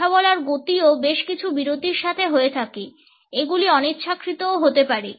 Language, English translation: Bengali, The speed of speaking is also accompanied by several pauses these may be uninternational also